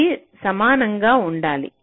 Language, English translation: Telugu, see, this should be equal